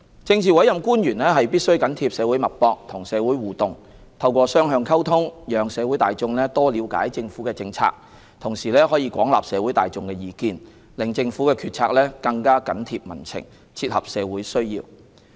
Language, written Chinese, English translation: Cantonese, 政治委任官員必須緊貼社會脈搏、與社會互動，透過雙向溝通，讓社會大眾多了解政府的政策，同時可廣納社會大眾的意見，令政府決策更緊貼民情、切合社會需要。, Politically appointed officials must keep their fingers on the pulse of the society and interact with the community to through two - way communication promote better understanding of government policies among members of the public while gauging a wide spectrum of public views so as to keep government decisions close to the community and meet the needs of the community